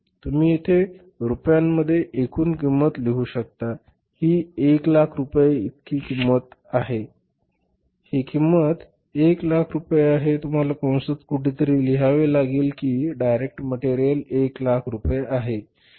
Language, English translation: Marathi, This cost is 1 lakh rupees, total cost is it is in the rupees, you have to write somewhere in the bracket that is rupees and direct material is 1 lakh rupees